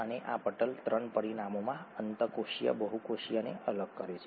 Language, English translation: Gujarati, And this membrane in three dimensions, separates the intracellular the extracellular